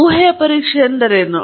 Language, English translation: Kannada, What is hypothesis testing